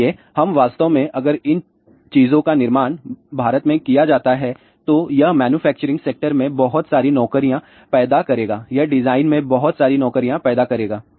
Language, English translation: Hindi, So, we really in fact, if these things are manufactured in India it will create lots of jobs in the manufacturing sector, it will create lots of job in the design